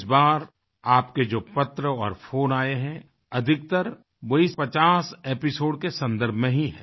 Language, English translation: Hindi, Your letters and phone calls this time pertain mostly to these 50 episodes